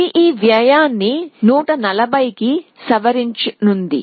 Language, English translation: Telugu, So, this will revise this cost to 140